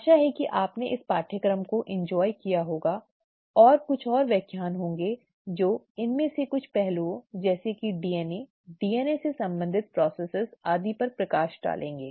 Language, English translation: Hindi, Hope that you enjoyed this course there will be a few more lectures that come up in terms of, which takes, or which throws light on some of these aspects such as DNA, the processes related to DNA and so on